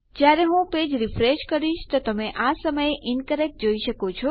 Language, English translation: Gujarati, When I refresh my page you can see incorrect at the moment